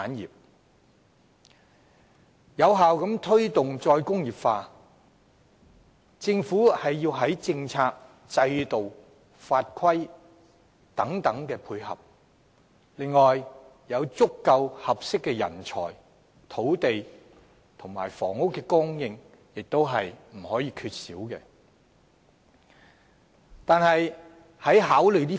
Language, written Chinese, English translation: Cantonese, 要有效推動"再工業化"，政府須在政策、制度及法規上配合，而足夠和合適的人才、土地及房屋供應亦不可缺少。, In order to promote re - industrialization effectively the Government must give support in terms of policy system and legislation . Sufficient supplies of suitable talent land and buildings are also necessary